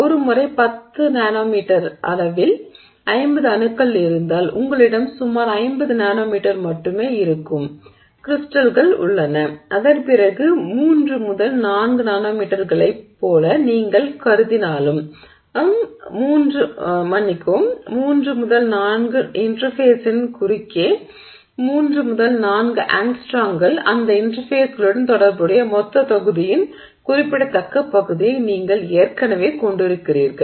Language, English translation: Tamil, So once you have 50 atoms in a 10 nanometer scale and you have crystals which are only about 50 nanometers across, then even if you assume like, you know, 3, 4 nanometers across that, I'm sorry, 3, 4 angstroms across the interface as being related to the interface, you are already having a significant fraction of the total volume associated with that interfaces, right